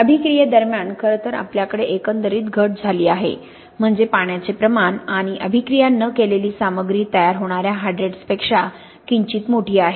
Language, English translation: Marathi, During the reaction, in fact we have an overall decrease in volume, that’s to say the volume of the water plus the unreacted material is slightly larger than that of the hydrates that form